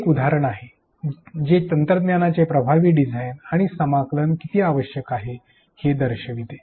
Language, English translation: Marathi, This is one example which shows how effective design and integration of technology is critical